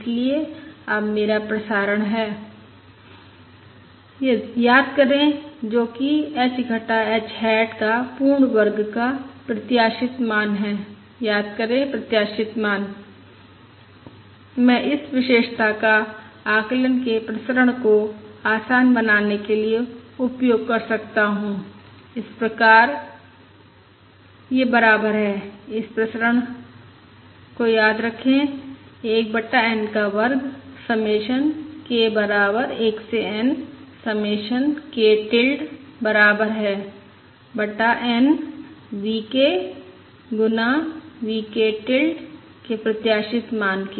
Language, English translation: Hindi, Therefore, now I can compute this expected value of h hat minus h whole square is nothing but the expected value of 1 over n submission k equal to 1 to n V k whole square, because h hat minus h is nothing but submission 1 over n V k And this is basically equal to